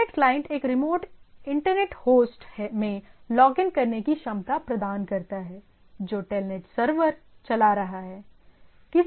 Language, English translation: Hindi, So, Telnet client provides ability to log into a remote internet host that is running a Telnet server